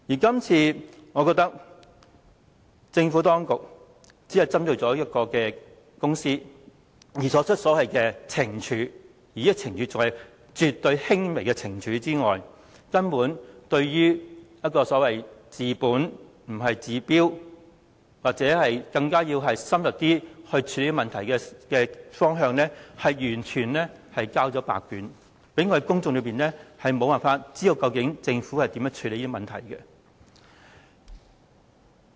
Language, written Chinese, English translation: Cantonese, 今次政府當局除了只針對這間公司作出懲處，而且是絕對輕微的懲處之外，對於如何以治本不治標的方法或透過更深入檢視處理問題方面，更是完全交白卷，令公眾無法得悉政府如何處理這些問題。, This time around the Administration has merely taken punitive action against this firm . Besides taking absolutely weak punitive action it has completely failed to deliver when it comes to administering a permanent cure or conducting a more in - depth review in addressing problems such that there is no way for the public to learn how the Government will address these problems